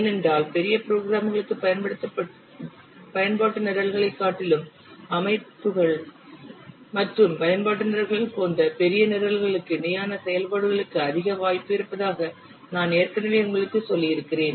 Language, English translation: Tamil, Because I have already told you that for larger programs, there are more scope for parallel activities for larger programs such as systems and application programs than the utility programs